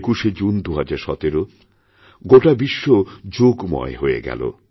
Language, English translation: Bengali, 21st June 2017 Yoga has permeated the entire world